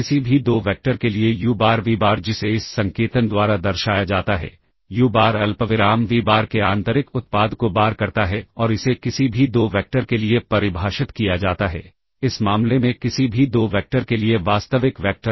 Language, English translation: Hindi, And for any 2 vectors uBar vBar that is, denoted by this notation uBar, the inner product of uBar comma vBar and this is defined for any 2 vectors uBar vBar in this case real vectors for any 2 vectors uBar comma vBar